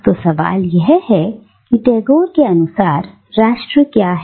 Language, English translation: Hindi, So the question here is what is nation according to Tagore